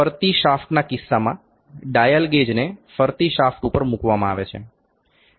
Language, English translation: Gujarati, In case of rotating shafts, the dial gauge is put on the rotating shaft